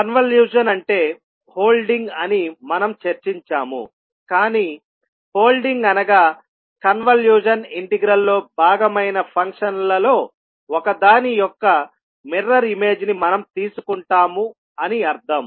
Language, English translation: Telugu, We discussed that convolution is nothings but holding, holding means we take the mirror image of one of the function which will be part of the convolution integral